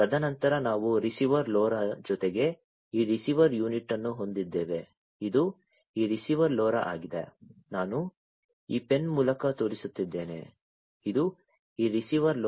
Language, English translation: Kannada, And then we have this receiver unit with the receiver LoRa this one this is this receiver LoRa, I am pointing through this pen, this is this receiver LoRa